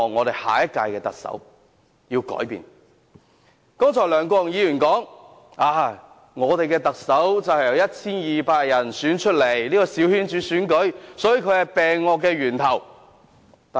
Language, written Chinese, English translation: Cantonese, 梁國雄議員剛才說，我們的特首是由 1,200 人選出來。這個小圈子選舉是萬惡的源頭。, Mr LEUNG Kwok - hung has remarked that the election of the Chief Executive by a coterie of 1 200 people is the root of all evils